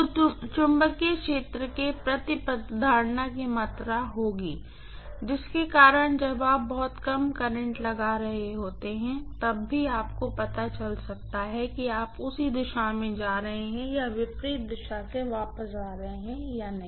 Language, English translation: Hindi, So, there will be some amount of retention of the magnetic field because of which even when you are applying very very minimal current, you may get the you know much smaller current or much larger current depending upon you are going in the same direction or coming back in the opposite direction